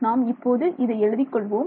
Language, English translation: Tamil, So, let us write that out